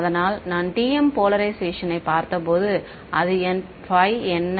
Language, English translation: Tamil, So, when I looked at TM polarization, so, what was my phi